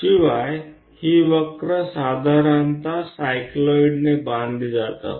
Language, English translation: Marathi, And this curve usually constructed by cycloid